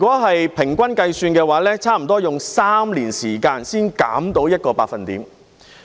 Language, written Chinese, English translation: Cantonese, 按平均計算，差不多要花3年時間才能減少 1%。, On average it took almost three years to reduce the number by 1 %